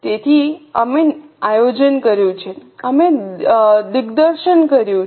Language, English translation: Gujarati, So, we have done planning, we have done directing